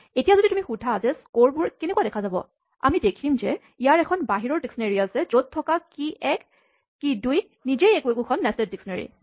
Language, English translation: Assamese, Now, if you ask me to show what scores looks like, we see that it has an outer dictionary with two keys test 1, test 2 each of which is a nested dictionary